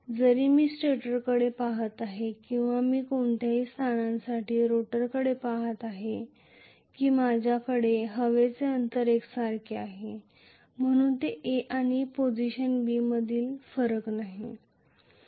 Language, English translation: Marathi, Whether I look at the stator or whether I look at the rotor for any position I am going to have the air gap to be uniform so it is not going to differentiate between position A and position B